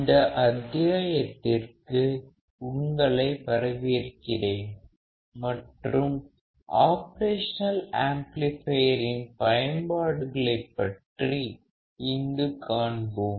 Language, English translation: Tamil, Welcome to this module and here we will see the application of operational amplifiers